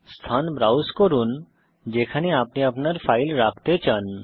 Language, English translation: Bengali, Browse the location where you want to save your file